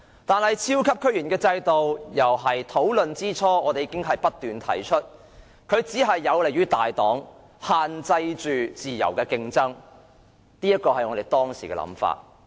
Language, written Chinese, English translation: Cantonese, 但是，在超級區議員制度討論之初，我們已經不斷指出它只有利於大黨，限制自由競爭，這是我們當時的想法。, However right from the start of discussions about the system we had repeatedly pointed out that such a system would benefit only the big parties and restrict free competition . That is our view at that time